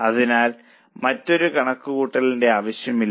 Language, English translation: Malayalam, So, there is no other need of any calculation